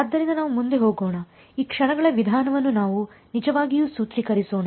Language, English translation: Kannada, So, let us go ahead; let us actually formulate this Method of Moments ok